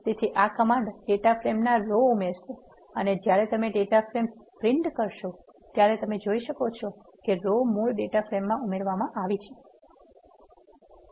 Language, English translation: Gujarati, So, this command adds the row to the data frame and when you print the data frame you can see that row has been added to the original data frame